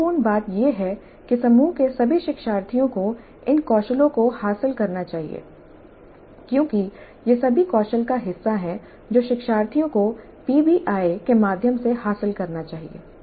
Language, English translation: Hindi, The important point is that all the learners in the group must acquire these skills because these are all part of the skills that the learners are supposed to acquire through the PBI